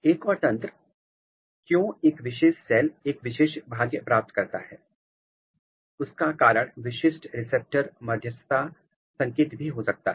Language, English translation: Hindi, Another mechanism; why a particular cell acquires a particular fate is typical receptor mediated signaling